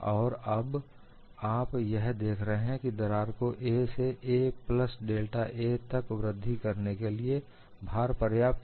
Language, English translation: Hindi, Now, what you observe is, the load is sufficient for the crack to grow from a to a plus d a, when this happens, what will happen